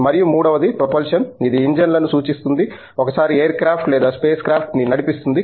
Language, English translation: Telugu, And, the third one is propulsion which portents to engines, the once that propel the air craft or the space craft